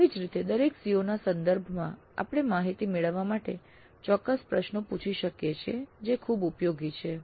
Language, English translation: Gujarati, Similarly with respect to each CO we can ask certain questions to get data that is quite useful